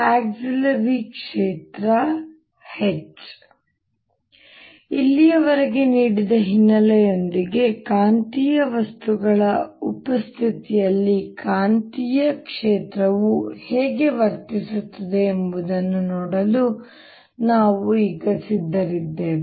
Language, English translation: Kannada, with the background given so far, we are now ready to look at how magnetic field behaves in presence of magnetic materials